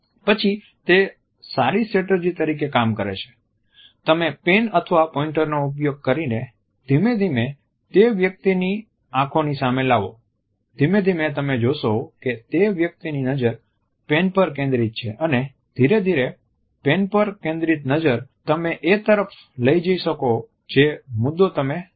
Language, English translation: Gujarati, Then it sometimes works as a good strategy you can use a pen or a pointer an gradually bring this in front of the eyes of that person, gradually you would find that the eyes of that person are focused on this pen and gradually this pen can be brought to the point which you want to illustrate